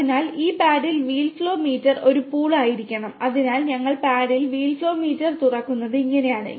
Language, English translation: Malayalam, So, this paddle wheel flow meter needs to be a pull and so, this is how we open the paddle wheel flow meter